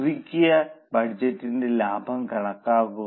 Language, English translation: Malayalam, And calculate the revised budget